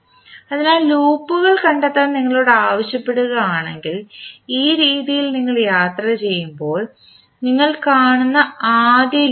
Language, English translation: Malayalam, So that means if you are asked to find out the loops, loops will be, first loop you will see as you travel in this fashion